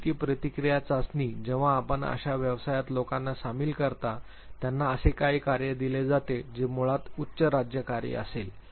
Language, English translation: Marathi, Situation reaction test when you induct people in the profession who would be given some task which are high state task basically